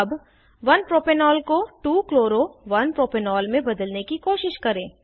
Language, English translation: Hindi, Lets now try to convert 1 Propanol to 2 chloro 1 propanol